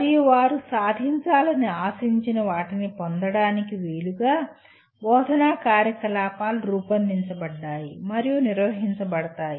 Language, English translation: Telugu, And instructional activities are designed and conducted to facilitate them to acquire what they are expected to achieve